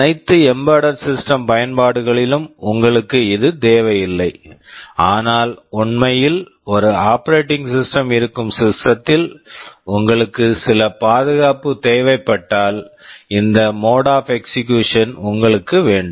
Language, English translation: Tamil, In all embedded system application you will not require this, but in system where there is really an operating system and you need some protection you need to have this mode of execution